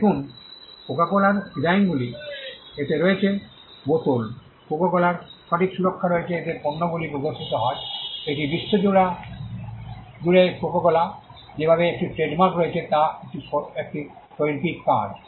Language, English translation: Bengali, See coco cola has designs on it is bottle, coco cola has copy right protection in the way in which it is products are displayed it is an artistic work the way coco cola has trademark on the world